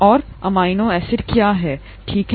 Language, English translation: Hindi, And what is an amino acid, okay